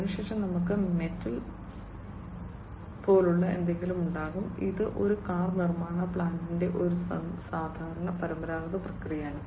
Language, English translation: Malayalam, Then thereafter, we will have something like metal foaming, these are this is a typical traditional process in a car manufacturing plant